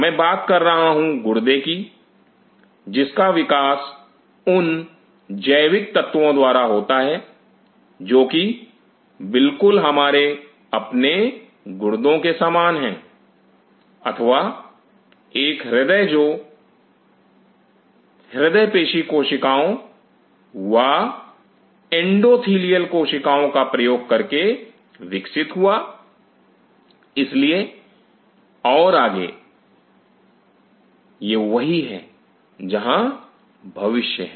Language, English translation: Hindi, I am talking about kidney developed from biological elements very similar to our existing kidney or a heart developed using cardio myocytes endothelial cells so and so forth, that is where the future is